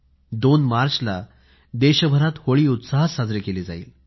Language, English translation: Marathi, On 2nd March the entire country immersed in joy will celebrate the festival of Holi